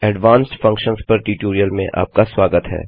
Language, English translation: Hindi, Welcome to the Spoken Tutorial on Advanced Function